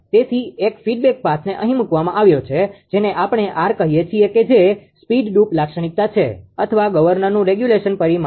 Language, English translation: Gujarati, So, one feedback path is put it here the regulation we call r is a speed droop characteristic or your; what you call the regulation parameter of the governor, right